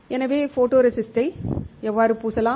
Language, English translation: Tamil, So, how we can we coat the photoresistor